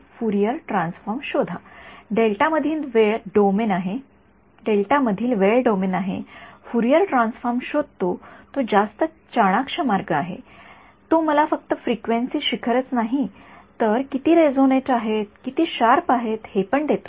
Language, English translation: Marathi, Find out the Fourier transform I have the time domain in the delta calculate the Fourier transforms that is the much smarter way it will give me not just the frequency peaks, but also how resonate they are how sharp they are right